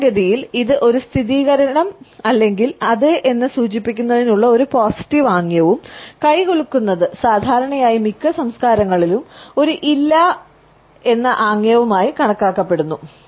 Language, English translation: Malayalam, Normally, a positive gesture to signify an affirmation or yes and a shake of a hand is normally considered to be a no in most cultures right